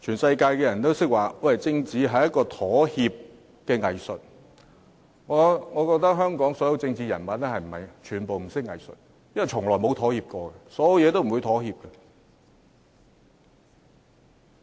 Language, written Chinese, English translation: Cantonese, 所有人都說政治是一種妥協的藝術，我覺得香港所有政治人物均不懂得藝術，因為從來沒有妥協，任何方面都不會妥協。, There is a common saying that politics is the art of compromise . I think all political figures in Hong Kong do not really know about art and they have never compromised in any respect